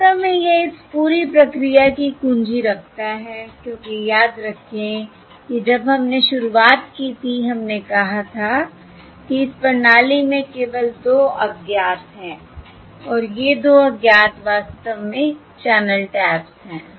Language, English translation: Hindi, in fact, that is that holds the key to this entire process because, remember, when we started, we said that there are only 2 unknowns in this system and these 2 unknowns are, in fact, the channel um, the um, the channel taps, The time domain channel taps